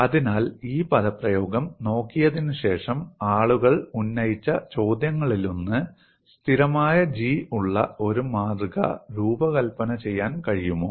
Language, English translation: Malayalam, So, one of the questions what people raised was after looking at this expression, is it possible to design a specimen which will have a constant G